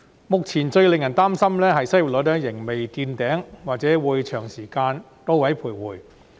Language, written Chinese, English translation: Cantonese, 目前最令人擔心的是，失業率仍未見頂，或許會長時間在高位徘徊。, The most worrying point at this moment is that the unemployment rate has not yet peaked and may remain high for a long time